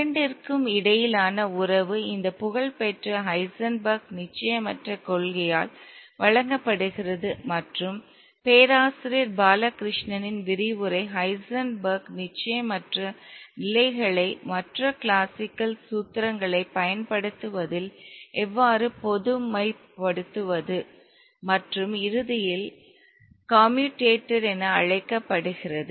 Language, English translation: Tamil, And the relation between the two is given by this famous Heisenberg's uncertainty principle and Professor Wallachshishna's lecture tells you how to generalize the Heisenberg's uncertainty states in using other classical formulations and eventually what is known as the commutator